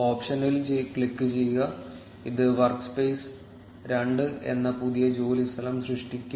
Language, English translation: Malayalam, Click on the option and it will generate a new work space which is work space two